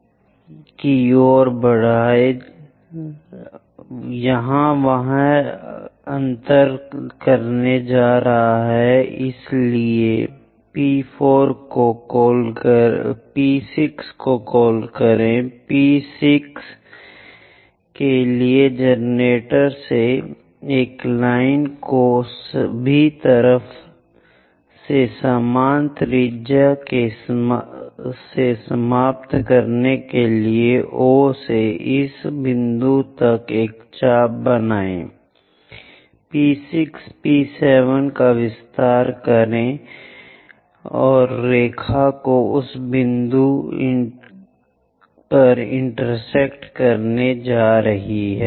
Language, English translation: Hindi, Similarly from point P5 extend it all the way down it is going to intersect there so call that point P5, for P6 drop a line from one of the generator all the way to end with equal radius from O to this point make an arc locate P6, P7 extend the line all the way down is going to intersect at that point